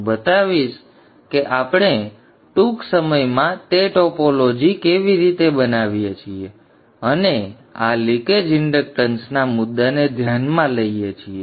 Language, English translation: Gujarati, I will show how we construct that topology shortly and address the issue of this leakage inductance